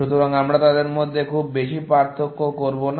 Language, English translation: Bengali, So, we will not distinguish too much between them